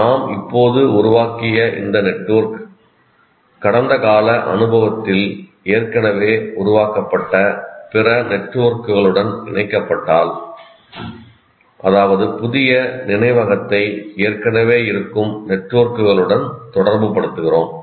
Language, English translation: Tamil, If this network that we formed is now linked to other networks, which are already formed in our past experience, that means we are relating the new memory to the existing frameworks, existing networks